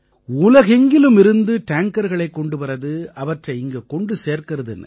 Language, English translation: Tamil, Going around the world to bring tankers, delivering tankers here